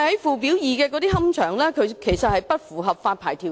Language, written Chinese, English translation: Cantonese, 屬"表二"的龕場，理應不符合發牌條件。, The columbaria under Part B should have failed to meet the licensing requirements